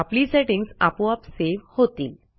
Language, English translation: Marathi, Our settings will be saved automatically